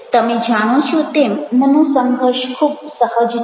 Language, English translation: Gujarati, you know conflicts are quite natural